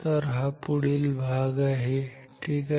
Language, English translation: Marathi, So, this is the next topic ok